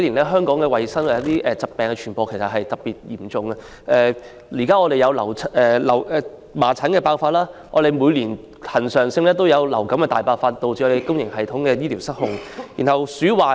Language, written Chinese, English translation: Cantonese, 香港近年疾病傳播問題都比較嚴重，現時有麻疹疫症爆發，每年亦恆常有流感大爆發，以致公營醫療系統不堪負荷。, In recent years the problem of disease transmission in Hong Kong has become serious . Presently there is an outbreak of measles epidemic and the major outbreak of influenza each year has overburdened our public health care system